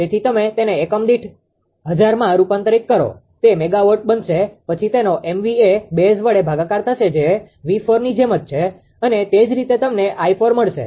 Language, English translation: Gujarati, So, it will be you this you convert it to per unit divide by 1000; it will become megawatt; then they were divide by MVA base same as V 4 and similarly you will get i 4 is equal to